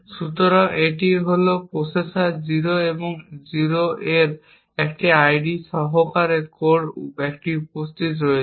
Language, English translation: Bengali, So, this is processor 0 and which is present in this on the core with an ID of 0